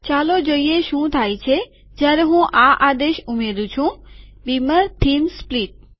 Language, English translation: Gujarati, Lets see what happens when I add this command beamer theme split